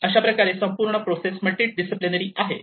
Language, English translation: Marathi, So, this whole process has a multidisciplinary